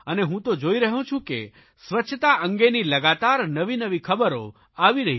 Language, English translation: Gujarati, And I see clearly that the news about cleanliness keeps pouring in